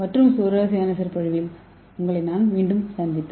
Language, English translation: Tamil, I will see you in another interesting lecture